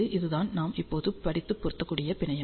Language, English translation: Tamil, This is the matching network that we just ah studied